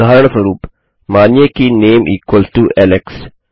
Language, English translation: Hindi, Say for example, name equals to Alex